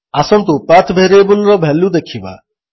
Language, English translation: Odia, Lets see the value of the path variable